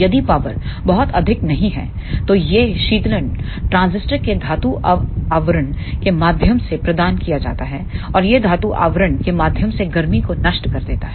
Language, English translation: Hindi, If the power is not very high then this cooling is provide through the metal casing of the transistor and it dissipates heat through the metal casing